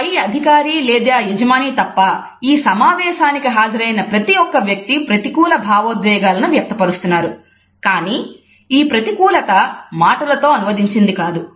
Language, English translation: Telugu, Every single person who is attending this meeting except the supervisor or the boss is conveying a negative emotion, but this negativity has not been translated into the words